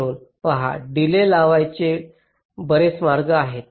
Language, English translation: Marathi, so see, there are so many ways to introduce a delay